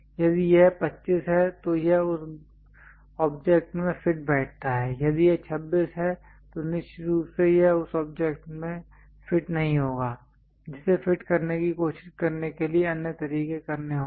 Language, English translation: Hindi, If this one is 25 it fits in that object, if it is 26 definitely it will not fit into that object one has to do other ways of trying to fit that